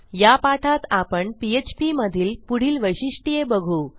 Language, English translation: Marathi, Let us see how to create our php tags